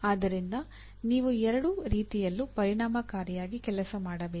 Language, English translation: Kannada, So both ways you have to work effectively